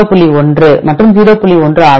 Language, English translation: Tamil, 81 is 0